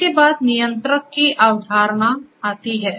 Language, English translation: Hindi, Next comes the concept of the Controller